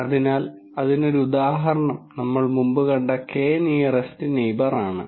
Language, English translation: Malayalam, So, an example of that would be the K nearest neighbour that we saw before